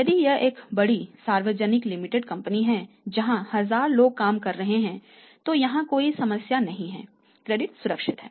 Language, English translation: Hindi, If it is a large public limited company 1000’s of people are working on 100’s of people are working there is no problem here credit is secured